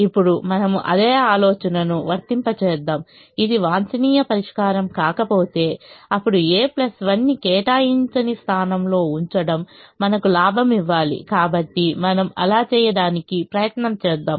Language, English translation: Telugu, now we apply the same idea: if this is not the optimum solution, then putting a plus one in an unallocated position should give us a gain